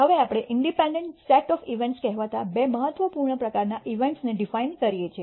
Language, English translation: Gujarati, Now, we can go on to de ne two important types of events what is called the independent set of events